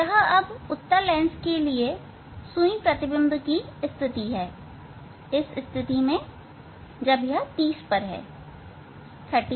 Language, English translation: Hindi, this is the now this is the position of the image needle for this convex lens for this position when it is at 30